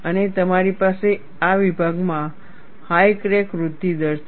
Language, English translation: Gujarati, And you have higher crack growth rate in this section